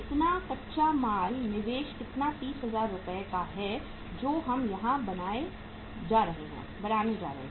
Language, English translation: Hindi, So raw material investment is how much 30,000 worth of rupees we are going to make here